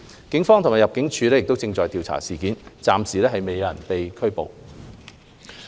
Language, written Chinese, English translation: Cantonese, 警方及入境事務處正調查事件，目前暫未有人士被捕。, The Police and ImmD are now investigating the incident and no one has been arrested thus far